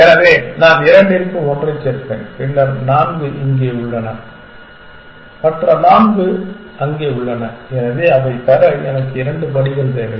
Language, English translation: Tamil, So, I will add one for two then four is here and four is there, so I need two steps to get to that